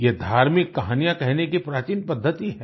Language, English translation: Hindi, This is an ancient form of religious storytelling